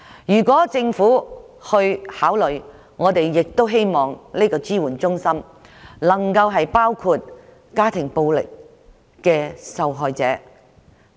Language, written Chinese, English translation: Cantonese, 如果政府考慮設立，我們亦希望這些支援中心的服務能包括家庭暴力受害者在內。, If the Government can consider setting up such crisis support centres we hope that these centres can also provide services for victims of domestic violence